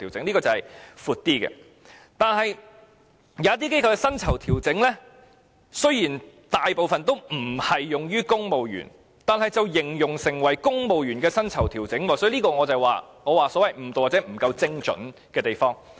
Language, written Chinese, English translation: Cantonese, 但是，一些機構的薪酬調整雖然大部分不適用於公務員，但形容成公務員薪酬調整，就是我所謂的誤導，或者不夠精準的地方。, However the pay adjustment of some organizations is mostly not applicable to civil servants but is described as such . It is the misleading or inaccurate part that I am referring to